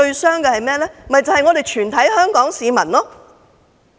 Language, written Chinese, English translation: Cantonese, 是全體香港市民。, All the people of Hong Kong